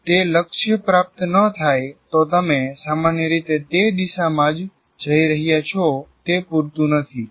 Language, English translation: Gujarati, If it is not attained, you are only generally going in that direction that is not sufficient